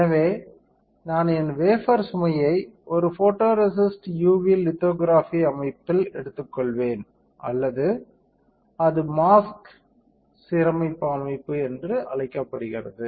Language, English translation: Tamil, So, I will take my wafer load into a photoresist UV lithography system or it is called mask aligner system